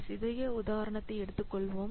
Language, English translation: Tamil, Let's take a small example